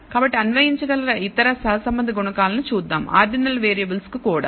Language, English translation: Telugu, So, let us look at other correlation coefficients that can be applied even to ordinal variables